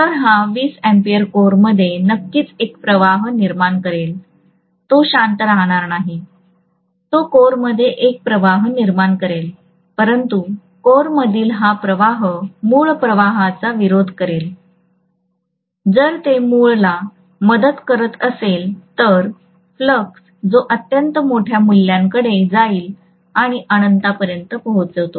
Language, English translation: Marathi, So this 20 ampere will create definitely a flux in the core, it is not going to keep quiet, it is going to create a flux in the core but this flux in the core should oppose the original flux, if it had been aiding the original flux that will go to extremely large values and d phi by dt will also reach literally infinity